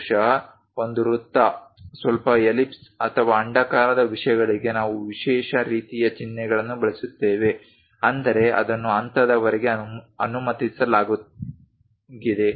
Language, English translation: Kannada, Perhaps a circle to slightly ellipse or oval kind of things we use special kind of symbols; that means, it is allowed up to that level